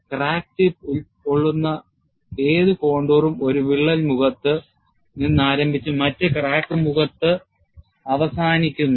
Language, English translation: Malayalam, Any contour, that encloses the crack tip, starts from one crack face, ends in the other crack, crack face; that is the only requirement